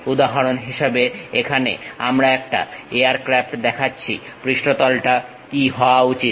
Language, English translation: Bengali, For example, here we are showing an aircraft, what should be the surface